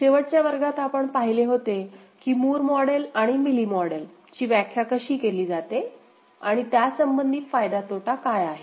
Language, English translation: Marathi, In the last class, we had seen how Moore model and Mealy model are defined and what are the relative advantage, disadvantage